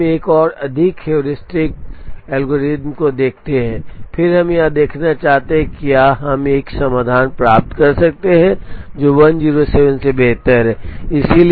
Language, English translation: Hindi, Now, let us look at one more heuristic algorithm, and then we to see whether we can get a solution, which is better than 107